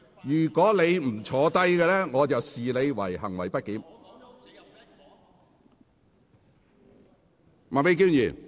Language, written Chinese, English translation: Cantonese, 如果你再不坐下，我會視之為行為不檢。, If you still do not sit down I will consider your behaviour disorderly